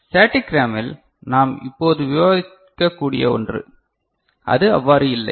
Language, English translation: Tamil, In static RAM, the one that we shall be discussing now, that is not there ok